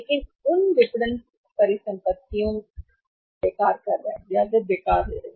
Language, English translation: Hindi, But in those marketing assets are marketing assets are becoming useless